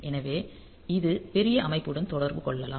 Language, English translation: Tamil, So, it may be interacting with the bigger system